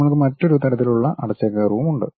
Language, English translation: Malayalam, We have another kind of closed curve also